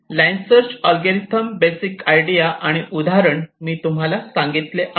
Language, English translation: Marathi, so in this line search algorithm, the basic idea is that just the example that i have shown